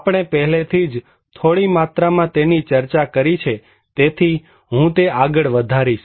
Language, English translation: Gujarati, We already discussed it at some extent so, I will continue that one